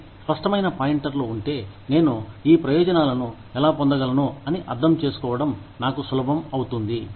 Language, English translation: Telugu, So, if there are clear pointers, it will be easy for me, to understand how I can, get these benefits